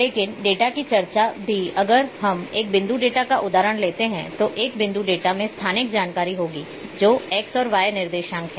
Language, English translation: Hindi, But also the discussion of the data if we take an example of a point data then, a point data will have spatial information that is the X,Y coordinates